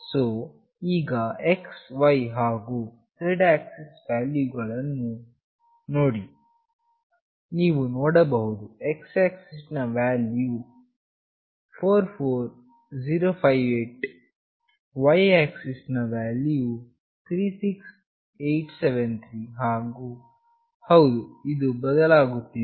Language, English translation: Kannada, So now, see the x, y and z axis values, you can see the x axis value is 44058, the y axis is 36873 and of course, it varies